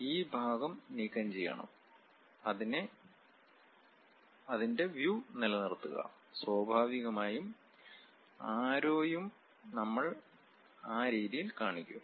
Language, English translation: Malayalam, And we want to remove this portion, keep the view of that; then naturally arrows, we will represent at in that way